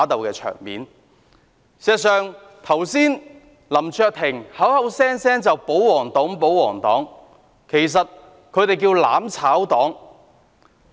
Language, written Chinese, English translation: Cantonese, 事實上，剛才林卓廷議員口口聲聲說我們是保皇黨，其實他們叫作"攬炒黨"。, Just now Mr LAM Cheuk - ting kept calling us the pro - Government camp but actually they themselves are known as the mutual destruction camp